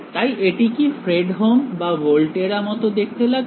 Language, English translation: Bengali, So, does it look like a Fredholm or Volterra